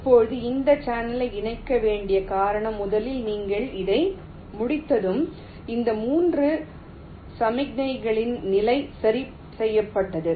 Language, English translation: Tamil, fine, now the reason why this channel has to be connected first is that once you complete this, the position of these three signals are fixed